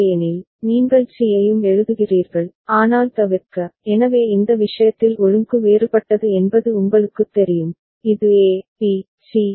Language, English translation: Tamil, Otherwise, you write C also, but to avoid, so in this case it is you know the order is different it is A, B, C